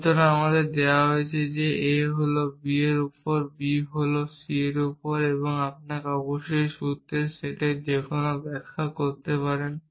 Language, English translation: Bengali, So, this is given to us, a is on b, b is on c and you can off course do any interpretation of the set of formulas